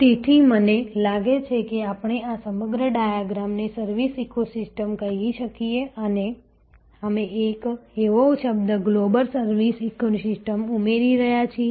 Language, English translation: Gujarati, So, I think we can call this whole diagram as service ecosystem and we are adding a new word global service ecosystem